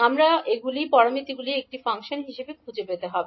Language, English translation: Bengali, We have to find the g parameters as a function of s